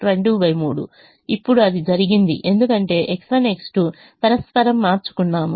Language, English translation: Telugu, now that happened because x one, x two got interchanged